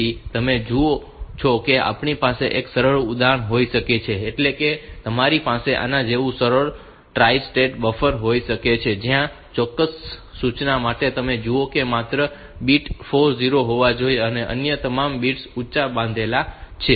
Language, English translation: Gujarati, So, you see that we can have a simple device, you can have a simple tri state buffer like this where for this particular instruction you see only the bit 4 has to be 0